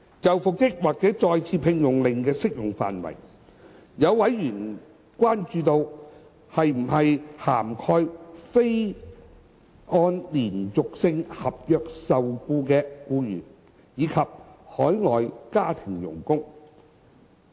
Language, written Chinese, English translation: Cantonese, 就復職或再次聘用令的適用範圍，有委員關注到，是否涵蓋非按連續性合約受僱的僱員，以及海外家庭傭工。, Regarding the scope of the applicability of an order for reinstatement or re - engagement some members have expressed concern about whether the Bill covers employees who are not employed under a continuous contract and foreign domestic helpers